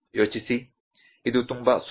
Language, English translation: Kannada, Think it is very easy